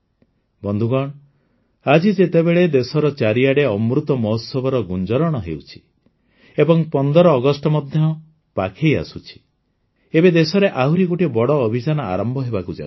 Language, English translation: Odia, Friends, in the midst of the ongoing reverberations of Amrit Mahotsav and the 15th of August round the corner, another great campaign is on the verge of being launched in the country